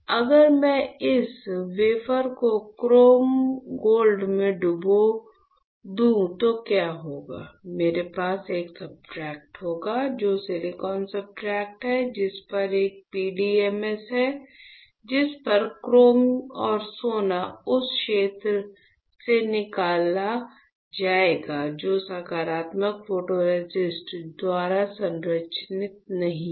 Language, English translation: Hindi, If I dip this wafer in chrome gold etchant what will happen; I will have a substrate, which is my silicon substrate on which there is a PDMS on which my chrome and gold will get etch from the area which was not protected by positive photoresist